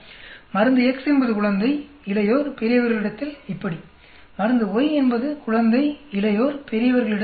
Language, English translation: Tamil, Drug X is like this on infant, adult, old; drug Y is like on infant, adult, old